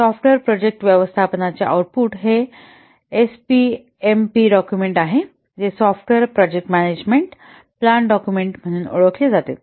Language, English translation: Marathi, The output of software project management is this SPMP document, which is known as software project management plan document